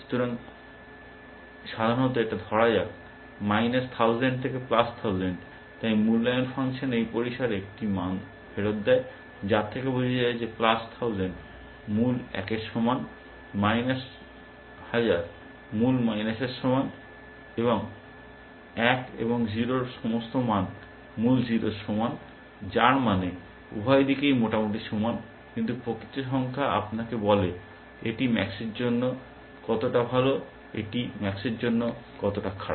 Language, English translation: Bengali, So, typically it is, let say minus 1000 to plus 1000, so the evaluation function returns as a value in this range, which the understanding that plus 1000 is equal to the original one, minus thousand is equal to the original minus, one and all values in 0 is equal to the original 0, which means both sides are roughly equal, but the actual number tells you, how good it is for max or how bad it is for max